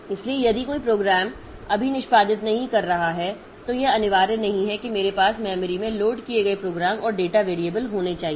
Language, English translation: Hindi, So, if a program is not executing now, so it is not mandatory that I should have the corresponding program and data variables loaded into the memory